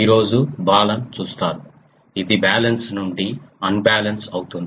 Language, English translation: Telugu, Today will see Balun it is balanced to unbalanced